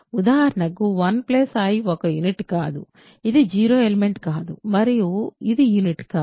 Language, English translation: Telugu, For example, 1 plus i is not a unit, it is not a 0 element and it is not a unit ok